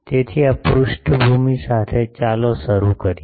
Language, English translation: Gujarati, So, with this background let us start